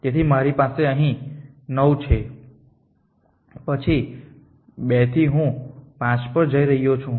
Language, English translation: Gujarati, So, I have 9 here then from 2 I am going to 5 I have 5 here